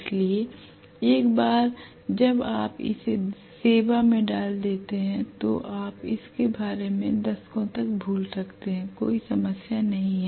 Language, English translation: Hindi, So once you put it in service you can forget about it for decades on, there is no problem at all